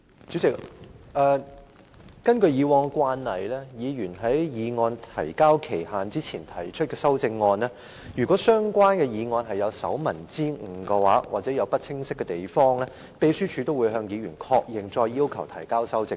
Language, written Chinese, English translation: Cantonese, 主席，根據慣例，議員在議案提交限期前提出的修正案如有手民之誤或含糊之處，秘書處會向議員確認並要求提交修正本。, President according to the established practice if there are any typos or ambiguities in Members amendments submitted before the deadline the Secretariat will ascertain with the Members concerned and ask for a revised version